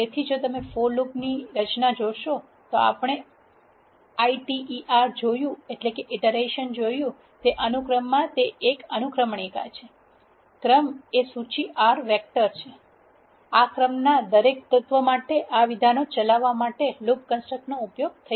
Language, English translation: Gujarati, So, if you see the structure of this for loop, iter in a sequence as we seen iter is an element in the sequence the sequence is a list R vector; for every element in this sequence execute this statements is what this for loop construct is saying